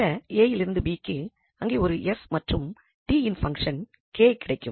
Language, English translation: Tamil, So, some a to b and then there will be a function K of s and t and then f t dt